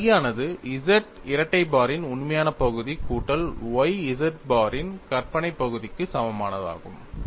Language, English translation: Tamil, It is this phi equal to real part of Z double bar plus y imaginary part of Z bar